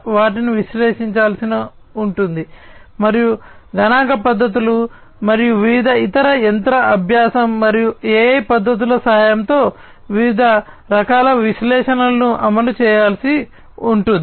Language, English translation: Telugu, Those will have to be analyzed, and different kinds of analytics will have to be executed with the help of statistical methods and different other machine learning and AI techniques